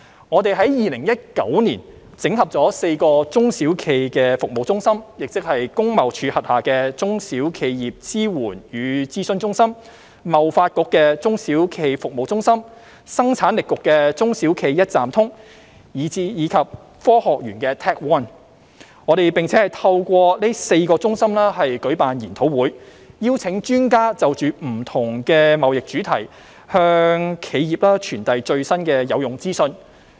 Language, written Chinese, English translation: Cantonese, 我們在2019年整合了4個中小企服務中心，即工業貿易署轄下的"中小企業支援與諮詢中心"、香港貿易發展局的"中小企服務中心"、香港生產力促進局的"中小企一站通"，以及香港科技園公司的 TecONE， 並透過這4個中心舉辦研討會，邀請專家就不同的貿易主題向企業傳遞最新的有用資訊。, In 2019 we consolidated the services of four SME service centres namely the Support and Consultation Centre for SMEs under the Trade and Industry Department TID the SME Centre under the Trade Development Council SME One under the Hong Kong Productivity Council and TecONE under the Hong Kong Science and Technology Parks Corporation . Experts were invited to brief enterprises on the latest useful information at seminars on various trade - related topics organized by these four centres